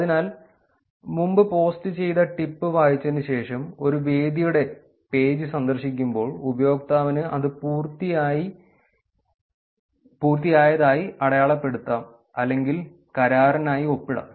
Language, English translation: Malayalam, So, when visiting a venues page after reading a previously posted tip, the user may mark it as done or to do in sign for agreement